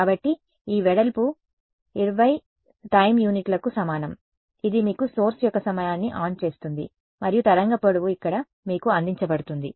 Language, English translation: Telugu, So, this width is equal to 20 time units is giving you the turn on time of the source and the wave length is given to you over here